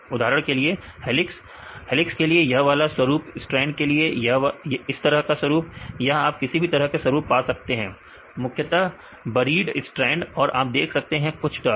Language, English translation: Hindi, For example, what the helix you can this type of pattern and the strand this type of pattern or you can have this type of pattern right mainly the buried strand right and you can see some turn like this